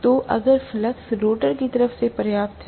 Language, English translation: Hindi, So, if the flux is just sufficient from the rotor side, right